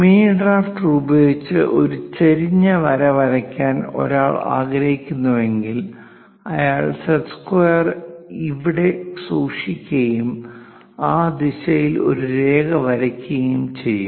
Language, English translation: Malayalam, If one would like to draw an inclined line with mini drafter, one will one will keep the set square there and draw a line in that direction